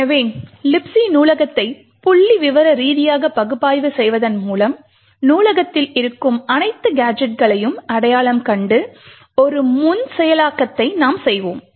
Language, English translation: Tamil, So we would do a pre processing by statistically analysing the libc library and identify all the possible gadgets that are present in the library